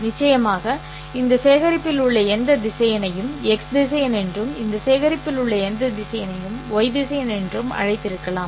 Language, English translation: Tamil, Of course I could have called any vector in this collection as x vector, any vector in this collection as y vector